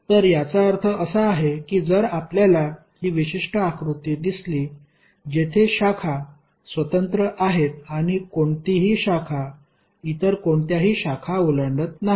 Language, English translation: Marathi, So it means that if you see this particular figure, the branches are separate and no any branch is cutting any other branch